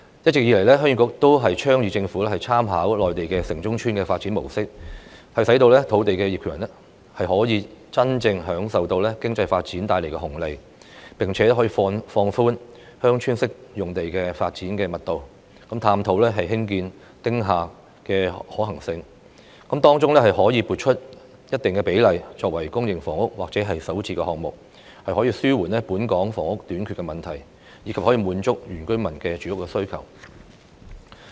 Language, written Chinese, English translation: Cantonese, 一直以來，鄉議局都建議政府參考內地"城中村"的發展模式，使土地業權人可以真正受惠於經濟發展帶來的紅利；此外，可以放寬鄉村式用地的發展密度，探討興建"丁廈"的可行性，並在當中撥出一定比例的土地作為公營房屋或首置項目，以紓緩本港房屋短缺的問題，以及滿足原居民的住屋需求。, The Heung Yee Kuk has all along suggested that the Government should make reference to the villages in towns development in the Mainland so that land owners can truly share the benefits brought by economic development . Besides the development density of Village Type Development sites can be relaxed and the possibility of developing small house buildings can be explored with a certain percentage of land being designated as public housing or Starter Homes for Hong Kong Residents pilot project so as to alleviate the housing shortage problem in Hong Kong and meet the housing needs of the indigenous inhabitants